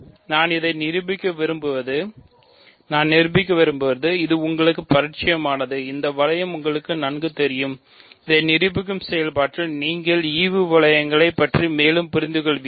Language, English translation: Tamil, So, what I want to do is prove that this is familiar to you, this ring is familiar to you; in the process of proving this you will understand more about quotient rings